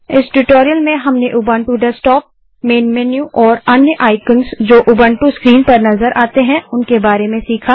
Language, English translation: Hindi, In this tutorial we learnt about the Ubuntu Desktop, the main menu and the other icons visible on the Ubuntu screen